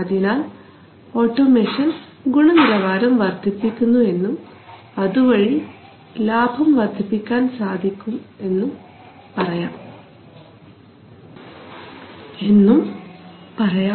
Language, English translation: Malayalam, So in this way automation can enhance quality which will in turn enhance profit